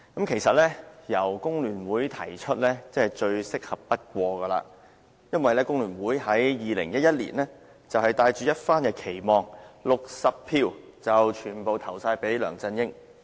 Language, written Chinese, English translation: Cantonese, 其實，由工聯會提出真是最適合不過，因為工聯會於2011年帶着一番期望 ，60 票全部投給梁振英。, In fact it is most appropriate for FTU to raise the motion . It is because in 2011 FTU cast all of its 60 votes to LEUNG Chun - ying with great expectations